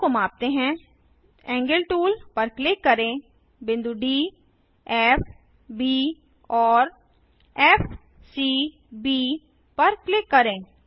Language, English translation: Hindi, Lets Measure the angles, Click on the Angle tool, click on the points D F B and F C B